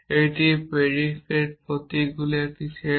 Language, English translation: Bengali, This is a set of predicate symbol